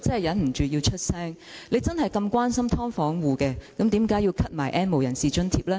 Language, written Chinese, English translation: Cantonese, 如果他真的關心"劏房戶"，為何要取消 "N 無人士"的津貼？, If he really cared for these residents why did he stop giving subsidy to the N have - nots?